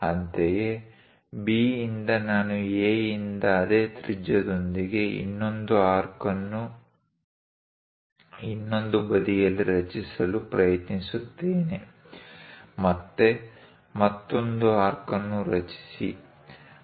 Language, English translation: Kannada, Similarly, from B, I will try to construct on the other side one more arc with the same radius from A; again, construct another arc